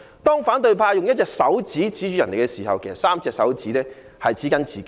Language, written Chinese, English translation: Cantonese, 當反對派用1隻手指指着他人的時候，其實有3隻手指指着自己。, When the opposition camp points one finger at others they actually points three at themselves